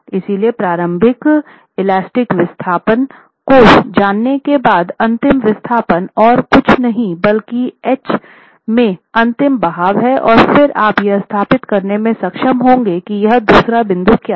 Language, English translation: Hindi, So knowing the initial elastic displacement, the ultimate displacement is nothing but drift, ultimate drift into H and then you will be able to establish what this second point is